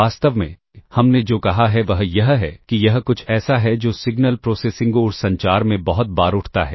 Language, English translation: Hindi, In fact, what we have said is this ah something that arises very frequently in signal processing and communication [noise]